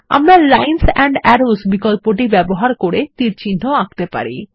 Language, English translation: Bengali, We can also draw arrows using the Lines and Arrows option